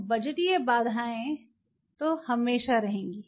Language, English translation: Hindi, So, budgetary constants we will always be there